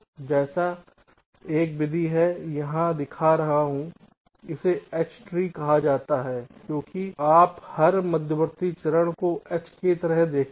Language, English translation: Hindi, like one method i am showing here this is called h tree because you see every intermediate steps look like a h, so the clock generated is the middle